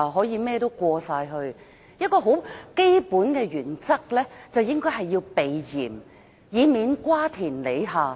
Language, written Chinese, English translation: Cantonese, "一項很基本的原則就是應該避嫌，以免瓜田李下。, A fundamental principle applicable to the present case is that you should avoid any suspicion lest your integrity will be queried